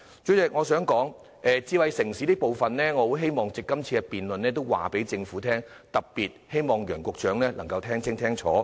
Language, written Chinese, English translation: Cantonese, 主席，關於智慧城市的意見，我希望藉着今次的辯論告訴政府，特別希望楊局長能夠聽清楚。, President I would like to let the Government know in this debate my views on smart city . In particular I hope Secretary Nicholas YANG can listen to all this clearly